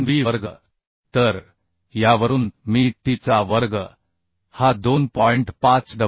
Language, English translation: Marathi, 3 b square So from this I can find out t square as 2